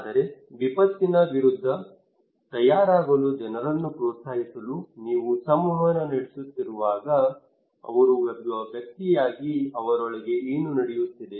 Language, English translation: Kannada, But when you are communicating people to encourage them to prepare against disaster what they are going on inside them as an individual